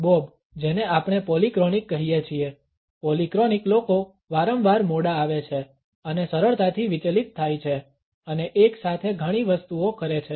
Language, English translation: Gujarati, Bob is what we call polyphonic, polyphonic people are frequently late and are easily distracted and do many things at once